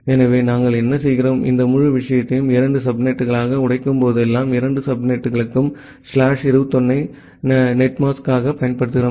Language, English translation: Tamil, So, what we are doing that whenever we are breaking this entire thing into two subnets, for both the subnets, we are using slash 21 as the netmask